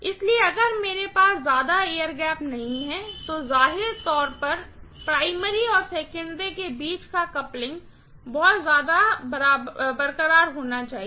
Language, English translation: Hindi, So, if I do not have much of air gap, obviously the coupling between the primary and the secondary has to be pretty much intact